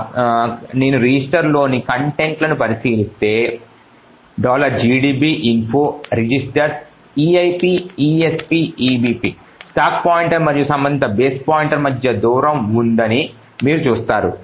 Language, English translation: Telugu, So if I look at the contents of the registers info registers eip, esp and ebp, you see that there is a distance between the stack pointer and the corresponding base pointer